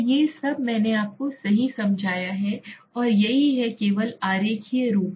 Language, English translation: Hindi, So these are all that I have explained to you right and this is the diagrammatical form only